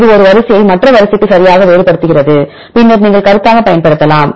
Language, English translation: Tamil, This will distinguishes one sequence to the other sequence right and then you can use as a comment